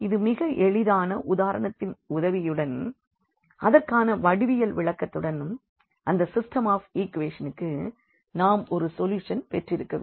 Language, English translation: Tamil, So, with the help of this very simple example the geometrical interpretation itself says that we do not have a solution of this system of equations